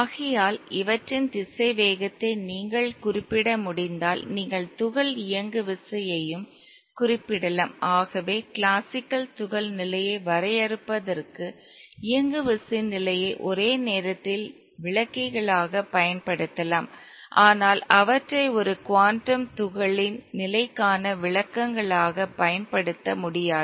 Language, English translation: Tamil, Therefore if you can specify the velocity obviously you can also specify the momentum of the particle Therefore position and momentum can be simultaneously used as descriptors for defining the state of a classical particle but they can't be used as descriptors for the state of a quantum particle